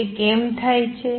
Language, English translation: Gujarati, And why does that happen